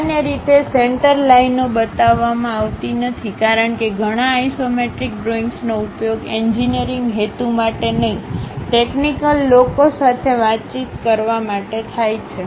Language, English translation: Gujarati, Normally, center lines are not shown; because many isometric drawings are used to communicate to non technical people and not for engineering purposes